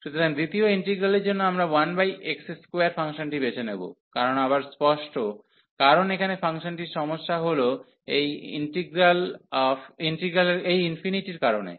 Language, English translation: Bengali, So, for the second integral, we will choose the function 1 over x square the reason is again clear, because here the function the problem is because of this infinity